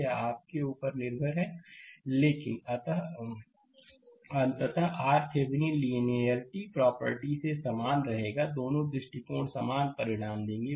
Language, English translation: Hindi, It is up to you, but ultimately, your R Thevenin will remain same right from your linearity property; Both the approaches give identical results